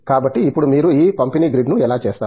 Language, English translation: Telugu, So, now, how do you do this distributed grid